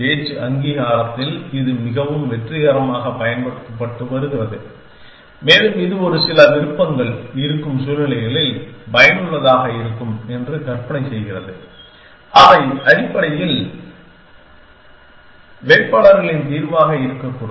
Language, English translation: Tamil, It has been use very successfully in speech recognition and it imagines that is useful in situations where there are a few options which are likely to be candidates’ solution essentially